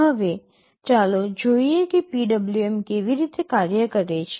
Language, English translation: Gujarati, Now, let us see how exactly PWM works